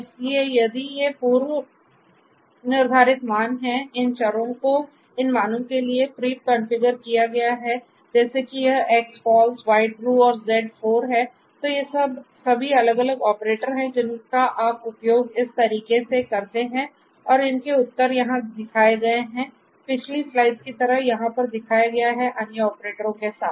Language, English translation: Hindi, So, if these values are preconfigured to have these variables are preconfigured to have these values like this X false, Y true and Z 4 then, all of these different operators if you use them in this manner you are going to get these results that are shown over here like in the previous slides with the other operators